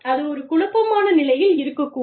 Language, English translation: Tamil, It can be in a state of confusion